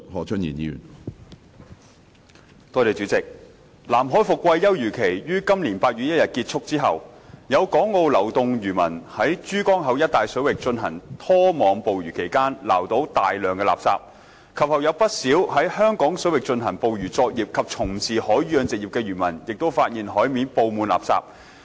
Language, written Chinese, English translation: Cantonese, 主席，南海伏季休漁期於今年8月1日結束後，有港澳流動漁民在珠江口一帶水域進行拖網捕魚期間，撈到大量垃圾；及後有不少在香港水域進行捕魚作業及從事海魚養殖業的漁民發現海面佈滿垃圾。, President after the end of the fishing moratorium in the South China Sea on 1 August this year some of the Hong Kong and Macao floating fishermen netted large quantity of refuse when they carried out trawling activities in the Pearl River Estuary region . Subsequently quite a number of fishermen engaged in fishing operations and the aquaculture industry in Hong Kong waters noticed that there was a lot of refuse scattered over the sea